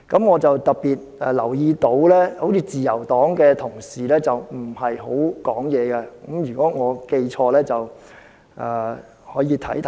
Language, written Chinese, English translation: Cantonese, 我特別留意到，自由黨的同事似乎沒怎麼發言；如果我記錯了，稍後可以提醒我。, I have especially noticed that Honourable colleagues of the Liberal Party seemed to have spoken not much . If I remember it wrong Members may correct me later